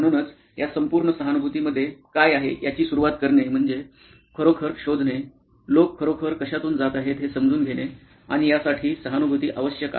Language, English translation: Marathi, So, to start off with what is it this whole empathy involves is to really find out, understand what is it that people are really going through and this requires empathy